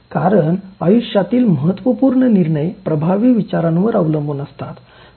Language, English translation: Marathi, Because much of life’s crucial decisions depend on effective thinking